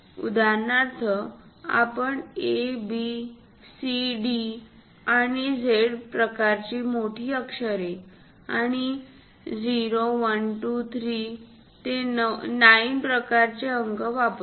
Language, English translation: Marathi, For example, we use capital letters A, B, C, D to Z kind of things and 0, 1, 2, 3 to 9 kind of elements